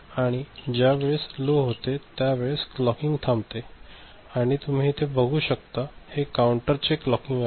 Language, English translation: Marathi, So, when it goes low, the clocking stops, you can see this is the clocking to the counter